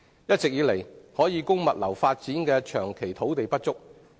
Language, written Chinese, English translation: Cantonese, 一直以來，可供物流發展的土地長期不足。, For a long period of time the land supply for logistics development has all along been insufficient